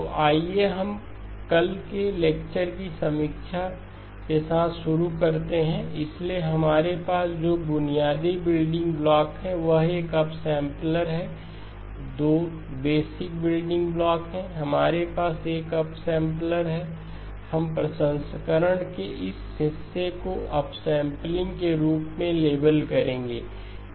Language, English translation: Hindi, So let us begin with a review of yesterday's lecture, so the basic building block that we have is an upsampler, the 2 basic building blocks, we have an upsampler, we will label this portion of the processing as upsampling